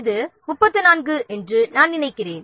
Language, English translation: Tamil, I think this is 34